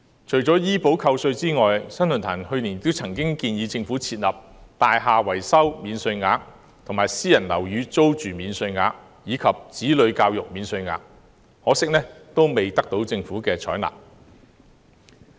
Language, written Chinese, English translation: Cantonese, 除了醫保扣稅外，新世紀論壇去年亦曾建議政府設立"大廈維修免稅額"、"私人樓宇租金免稅額"及"子女教育免稅額"，可惜未獲政府採納。, In addition to tax deductions for health insurance products purchased the New Century Forum also recommended the Government to introduce a building repairs allowance a private housing rental allowance and a child education allowance last year . Unfortunately they were not adopted by the Government